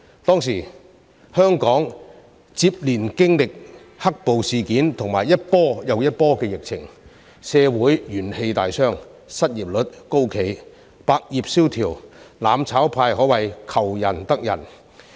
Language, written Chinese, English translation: Cantonese, 當時香港接連經歷"黑暴"事件和一波又一波的疫情，社會元氣大傷，失業率高企、百業蕭條，"攬炒派"可謂"求仁得仁"。, At that time Hong Kong experienced successive black - clad violence incidents and waves of pandemic . The society was badly hurt the unemployment rate was high all industries were hard hit and the mutual destruction camp could in a way get what it desired